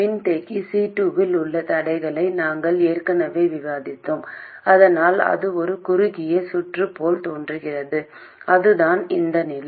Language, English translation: Tamil, We already discussed the constraint on capacitor C2 so that it appears as a short circuit and that is this condition